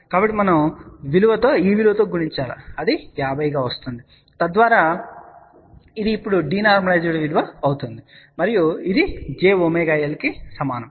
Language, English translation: Telugu, So, we have to multiply with this value as 50 so that it becomes now de normalized value and this is equivalent to j omega L